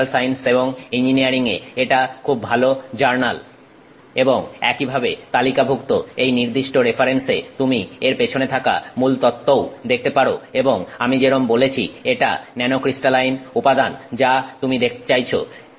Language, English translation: Bengali, It's in Material Science and engineering A, it's a very good journal and you can also see the theory behind it and so on listed in this particular reference and again as I said it is nanocrystaline material that you are looking at